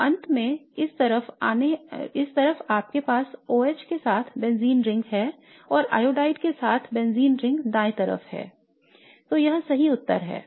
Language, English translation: Hindi, So you are going to end up with benzene ring on this side with an OH plus benzene ring on the right with iodide